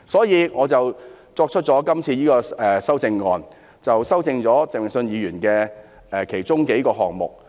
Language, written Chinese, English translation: Cantonese, 因此，我今次提出的修正案，修正了鄭泳舜議員其中數個部分。, Therefore in this amendment proposed by me I have amended several parts of Mr Vincent CHENGs motion